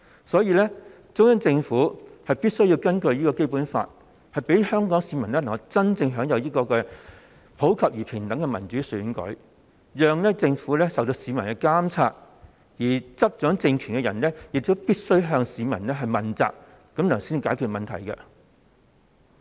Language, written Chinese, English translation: Cantonese, 所以，中央政府必須根據《基本法》，令香港市民能夠真正享有普及而平等的民主選舉，讓政府受到市民的監察，而執掌政權的人亦必須向市民問責，才能夠解決問題。, Therefore it is necessary for the Central Government to allow Hong Kong people to have universal and fair democratic elections in accordance with the Basic Law so that the Government will be monitored by the public and those in power will be required to be accountable to the public . This is the way by which the problems can be solved